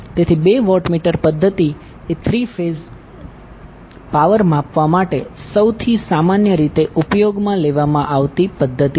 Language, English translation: Gujarati, So the two watt meter method is most commonly used method for three phase power measurement